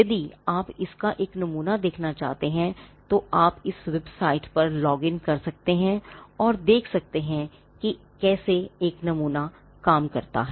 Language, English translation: Hindi, Now if you want to see a sample of this, you could just log on to this website and and see how a sample works